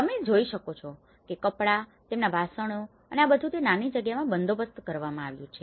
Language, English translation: Gujarati, You can see that the clothes, their utensils you know and this everything has been managed within that small space